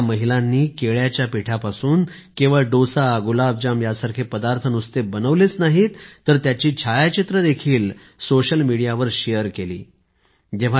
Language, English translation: Marathi, These women not only prepared things like dosa, gulabjamun from banana flour; they also shared their pictures on social media